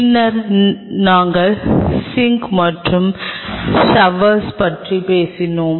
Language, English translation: Tamil, Then we talked about the sink and the shower